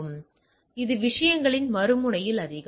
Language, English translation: Tamil, So, it is more at the other end of the things, right